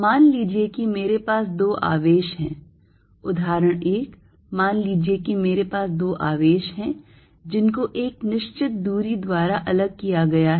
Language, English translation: Hindi, Suppose I have two charge; example one, suppose I have two charges, separated by certain distance